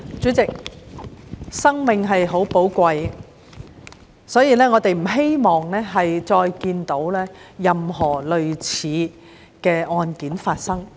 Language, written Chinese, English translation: Cantonese, 主席，生命很寶貴，我們不希望再看到任何類似的案件發生。, President life is precious and none of us would want to see the recurrence of similar cases